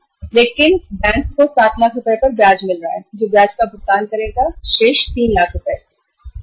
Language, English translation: Hindi, So bank is getting the interest on the 7 lakh rupees who will pay the interest on the remaining 3 lakh rupees